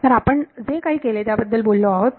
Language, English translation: Marathi, So, what we have done is that we have spoken about